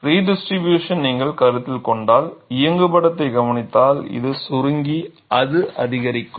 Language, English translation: Tamil, And if you consider redistribution, just observe the animation, this will shrink and that will increase